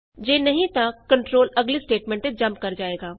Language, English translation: Punjabi, If not, the control then jumps on to the next statement